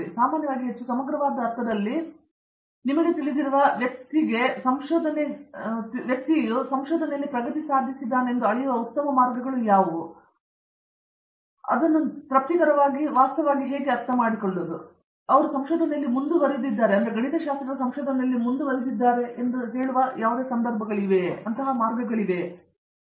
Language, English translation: Kannada, But in generally, in a more holistic sense especially for someone who is just you know considering coming in and so on what would you suggest are good ways to measure their progress in research, so that for their own satisfaction also they understand in fact, they are progressing in research especially let’s say with respect to mathematics for example, did you think there are ways in which they should think of themselves analyze their situations